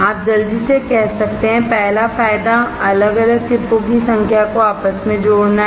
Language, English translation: Hindi, You can quickly say; first advantage is interconnecting number of individual chips